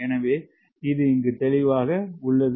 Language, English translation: Tamil, so this is clear now